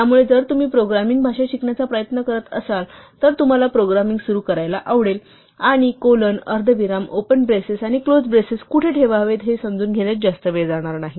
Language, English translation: Marathi, So, when you are trying to learn a programming language, you would like to start programming and not spend a lot of time understanding where to put colons, semicolons, open braces and close braces and so on